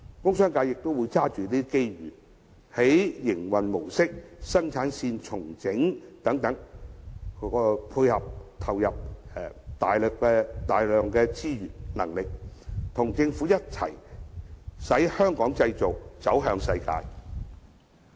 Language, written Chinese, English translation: Cantonese, 工商界也會抓緊這些機遇，在營運模式、生產線重整等方面，投入大量資源和能力，與政府一起令"香港製造"這招牌走向世界。, The commercial and industrial sectors will also grasp this opportunity to invest large quantities of resources to restructure the operation mode and production line so as to join hands with the Government to showcase to the world the fine quality of products made in Hong Kong